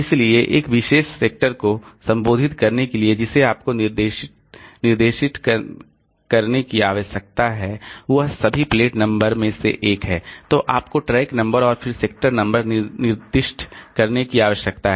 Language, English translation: Hindi, So, to address a particular sector what you need to specify is first of all the plate number, the plate number, then you need to specify the track number and then the sector number